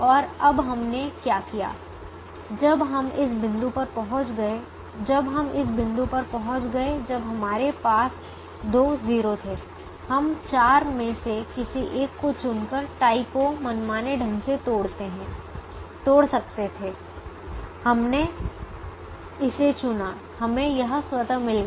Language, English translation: Hindi, so what now we did is, when we reached this point, when we reached this point, when we had two zeros, we could have broken that tie arbitrarily by choosing any one of the four